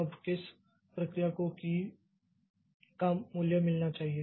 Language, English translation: Hindi, Now which process should get the key, the value of the key